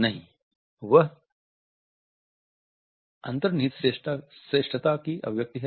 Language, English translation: Hindi, No, that is an expression of content superiority